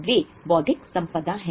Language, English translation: Hindi, It's an intellectual property